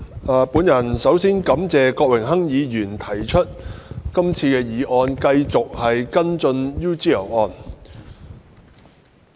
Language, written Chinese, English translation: Cantonese, 代理主席，首先，我感謝郭榮鏗議員提出這項議案，繼續跟進 UGL 案。, Deputy President first of all I am grateful to Mr Dennis KWOK for proposing this motion to press on with the UGL case